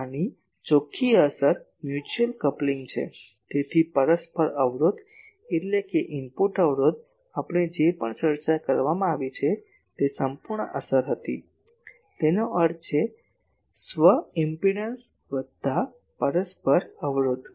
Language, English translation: Gujarati, The net effect of that is a mutual coupling so, a mutual impedance so, that means, input impedance, whatever we are discussed here that was the total effect; that means, self impedance plus mutual impedance